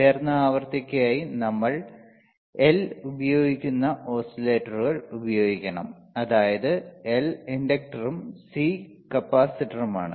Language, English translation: Malayalam, For higher frequency we have to use oscillators that are using L, that is inductor and C, is a capacitor right